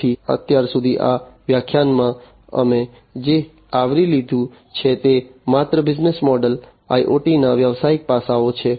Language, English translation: Gujarati, So, far in this lecture, what we have covered are only the business models, the business aspects of IoT